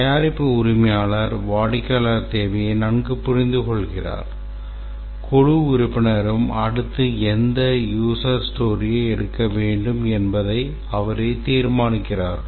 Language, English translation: Tamil, Here the product owner who understands the customer requirement well and the team member they decide which user stories to take up next